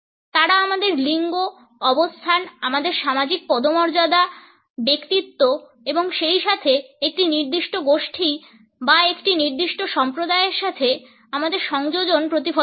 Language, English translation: Bengali, They project our gender, position, our status, personality as well as our affiliation either with a particular group or a particular sect